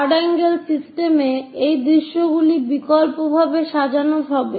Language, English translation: Bengali, In the third angle system, these views will be alternatively arranged